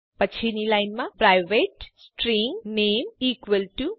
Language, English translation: Gujarati, Next line private string name =Raju